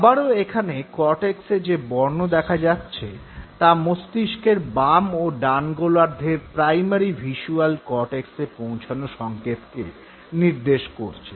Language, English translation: Bengali, Once again the colors that you see in the part of the cortex represent the input that has reached the primary visual cortex on the medial surfaces of the left and the right hemispheres of the brain